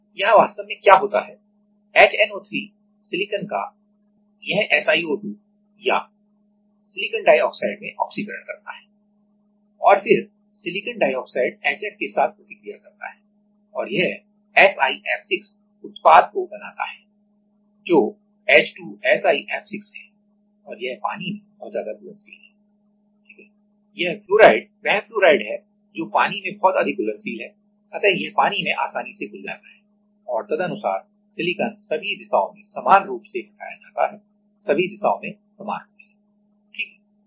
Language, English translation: Hindi, Here what happens is actually, HNO3 oxidizes the silicon to SiO2 or silicon dioxide and then the silicon dioxide reacts with HF and makes this SiF6 product which is H2SiF6 and this is very much soluble in water right, this fluoride is the fluoride is very much soluble in water so it easily get dissolves and accordingly silicon will get etched in all the direction equally, in all the direction in an equally right